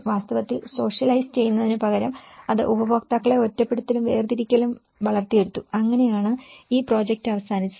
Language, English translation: Malayalam, In fact, instead of socializing it has fostered the isolation and segregation of users that is how this project have ended up